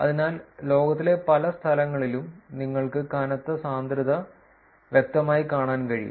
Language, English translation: Malayalam, So, you can clearly see heavy concentration on many places in the world